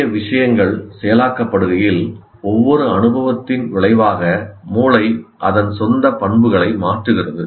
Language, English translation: Tamil, And as new things are getting processed, the brain changes its own properties as a result of every experience, the brain changes its own properties